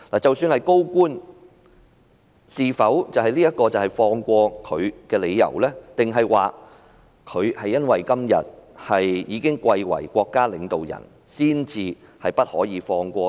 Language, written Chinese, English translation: Cantonese, 即使是高官，是否這樣就輕輕放過他，還是因為他今天已貴為國家領導人才不得不放過呢？, Should LEUNG Chun - ying be set free as he has been a senior government official and even promoted to the rank of a state leader and therefore she can do nothing about him but to let him go?